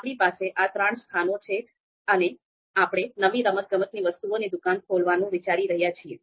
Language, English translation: Gujarati, So we have these three you know locations and we are looking to open a new sports shop